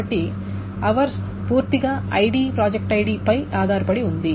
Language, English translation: Telugu, So hours dependent completely on ID and project ID